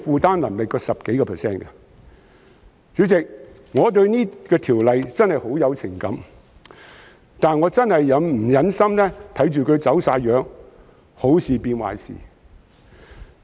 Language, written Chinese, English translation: Cantonese, 代理主席，我對這項條例草案真的很有情感，但我確實不忍心看到它"走晒樣"，好事變壞事。, Deputy President I really have deep feelings for this Bill but I cannot bear to see it getting out of shape and changing from good to bad